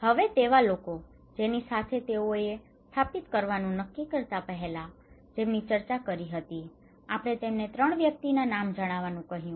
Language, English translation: Gujarati, Now discussions; with, whom they discussed about before they decided to install, we asked them to name 3 persons